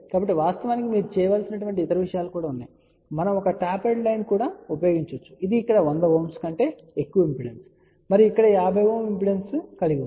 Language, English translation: Telugu, So in fact, you can actually just you tell you also there are other things also to be done; something like we can also use a tapered line which will have an impedance of 100 Ohm over here and the impedance of 50 Ohm here